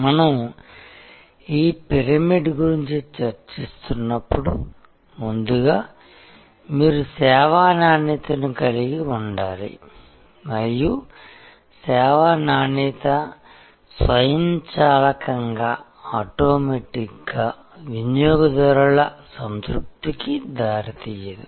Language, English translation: Telugu, As we discuss this pyramid that first of all you must have service quality and service quality will not automatically lead to customer satisfaction, you have to have a manage process to reach customer satisfaction